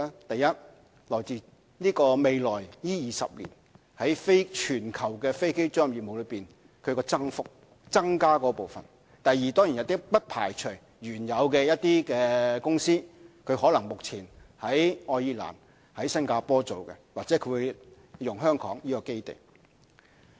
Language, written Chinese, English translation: Cantonese, 第一，源自未來20年在全球飛機租賃業務的增加部分；第二，當然也不排除一些原有的公司，可能目前在愛爾蘭和新加坡營運或會轉用香港作為基地。, It comes from first the growth in global aircraft leasing business in the coming 20 years; and second it comes from the assumption we certainly will not rule out such a possibility that existing companies currently operating in Ireland and Singapore may relocate their base to Hong Kong